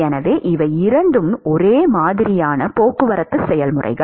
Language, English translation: Tamil, So, because these two are similar transport processes